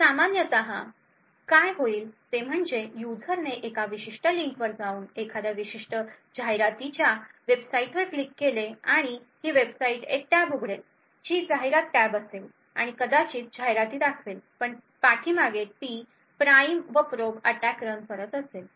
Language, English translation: Marathi, So what would typically happen is that the user is made to go to a particular link and click on a particular advertising website and this website would open a tab which is an advertisement tab and maybe show display an advertisement but also in the background it would be running the prime and probe attack